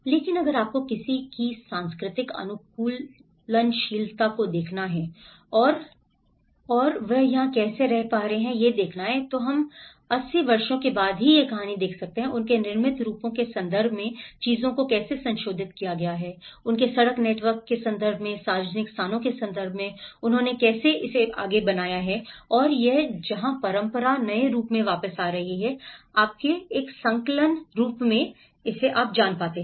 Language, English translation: Hindi, But if you, one has to look at the cultural adaptability and that is where one has to, this, we can see the same story after 80 years, how things have been modified in terms of their built forms, in terms of their street networks, in terms of the public spaces, how they have built and this is where how tradition is coming back in the new form, you know in a hybrid form